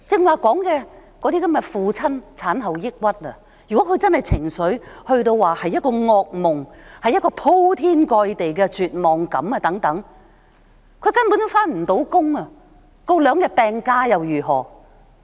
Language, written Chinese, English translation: Cantonese, 我剛才說有父親患上產後抑鬱，如果他的情緒達到噩夢般的、鋪天蓋地的絕望感，他根本無法上班，請兩天病假又如何？, As I just said fathers may suffer from PPPD . The overwhelming sense of despair makes a nightmare to them . They cannot manage to go to work